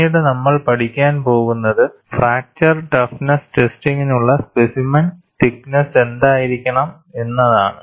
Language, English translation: Malayalam, Later on we are going to study what should be the selection of the specimen thickness for fracture toughness testing; there you would see the use of such expressions